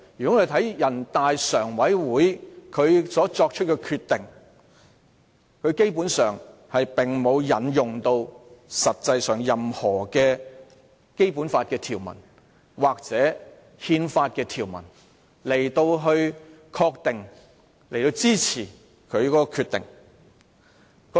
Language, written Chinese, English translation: Cantonese, 我們看人大常委會作出的決定，基本上並沒有引用任何《基本法》或憲法的條文，作為其憲制理據或法律基礎。, Basically the Decision made by NPCSC has neither invoked any provision of the Basic Law or the Constitution nor used it as its constitutional or legal basis